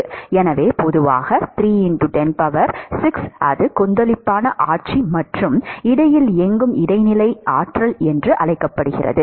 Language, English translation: Tamil, So, typically 3 into 10 power 6, that is Turbulent regime and anywhere in between is called intermediate regime